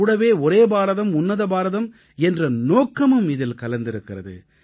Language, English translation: Tamil, We also find ourselves connected with Ek Bharat Shrestha Bharat